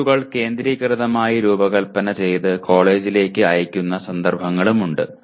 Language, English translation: Malayalam, And there are instances where the tests are designed centrally and sent over to the college